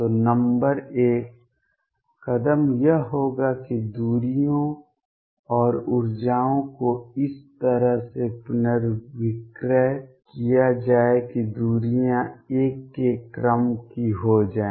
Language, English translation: Hindi, So, number one step one would be to rescale the distances and energies in such a way that the distances become of the order of 1